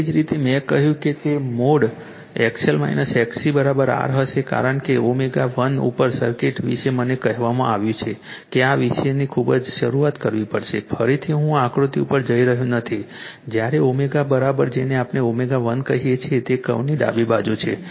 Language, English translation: Gujarati, Similarly, that I told you it will be mod XL minus XC is equal to r since at omega 1 the circuit is I told you you have to very very beginning of thisof this topic again am not going to the figure when your omega is equal to your what we call at omega 1 which is on the left hand side right of that curve